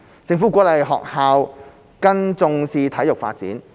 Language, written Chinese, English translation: Cantonese, 政府鼓勵學校更重視體育發展。, The Government encourages schools to attach greater importance to sports development